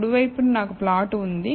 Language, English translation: Telugu, On the right hand side, I have the plot